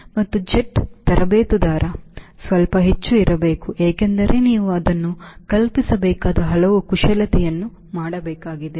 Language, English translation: Kannada, and jet trainer, of course, has to be little more because you have to do so many of maneuvers